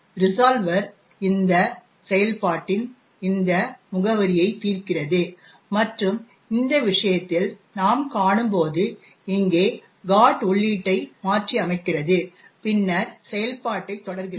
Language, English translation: Tamil, The resolver resolves this address of this function and modifies the GOT entry over here as we see in this thing and then continues the execution